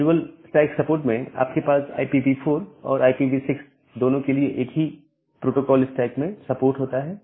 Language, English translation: Hindi, In case of a dual stack support, you have a support for both IPv4 and IPv6 in the same protocol stack